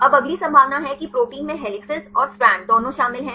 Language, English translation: Hindi, Now the next possibility is the proteins contain both both helices and strands right